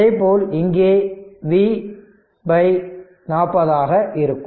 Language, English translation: Tamil, Similarly here also it will be V by 40 this will be V by 40 right